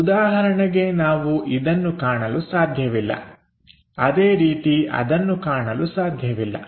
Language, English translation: Kannada, For example, we can not visualize this similarly we can not visualize that